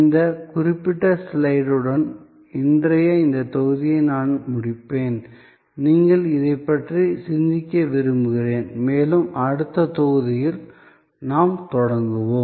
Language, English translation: Tamil, I will end today's this module with this particular slide and I would like you to think about it and this is where, we will begin in the next module